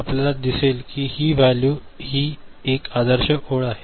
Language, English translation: Marathi, We see that this value, this is the ideal line, this is the ideal line right